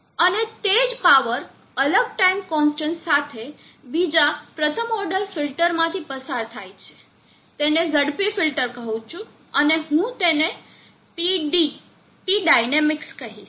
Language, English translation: Gujarati, And this N power is pass through another first order filter the different N constant call it fast filter and I will say PD p dynamic